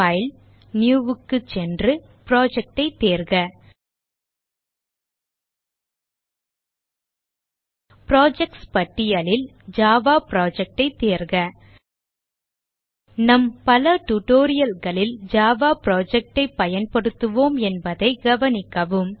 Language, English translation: Tamil, go to File New select Project In the list of projects, select Java Project Also note that, for most of our tutorials, we will be using java project